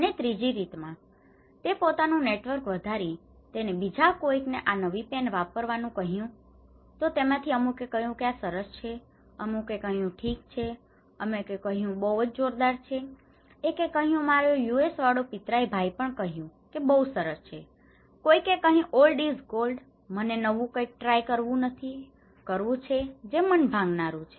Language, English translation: Gujarati, Then in time 3, he expanded his network okay, he asked somebody they said use new ball pen, it is really good, then someone is saying that okay, it is damn good use it buddy, other one is saying my cousin in USA said good so, please, another one is old is gold, I do not like to try the new so, it is now discouraging okay